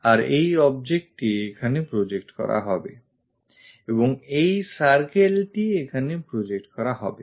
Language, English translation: Bengali, And this object will be projected here and this circle will be projected here